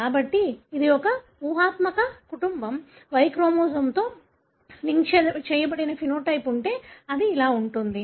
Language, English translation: Telugu, So, it is a hypothetical family, if there is a phenotype linked to Y chromosome this is how it will look like